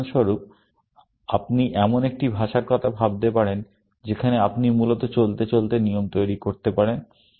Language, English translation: Bengali, For example, you can think of a language in which, you can create rules on the fly, essentially